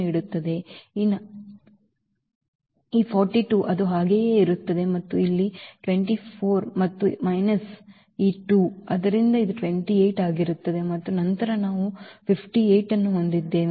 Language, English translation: Kannada, This 42 will remain as it is and here the 24 and minus this 2, so this will be 28 and then we have 58 there